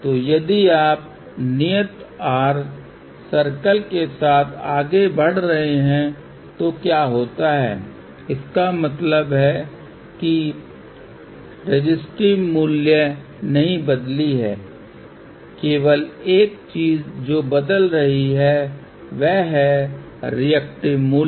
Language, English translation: Hindi, So, what happens if you are moving along constant r circle; that means, resistive value has not changed; only thing which is changing is the reactive value